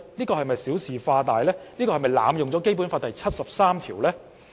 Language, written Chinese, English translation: Cantonese, 又是否小事化大，濫用《基本法》第七十三條？, Are they making a mountain out of a molehill and abusing Article 73 of the Basic Law?